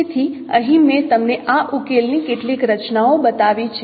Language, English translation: Gujarati, So here I have shown you some of the structures of this solution